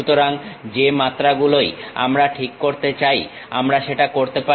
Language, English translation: Bengali, So, whatever the dimension we would like to really specify that we can do that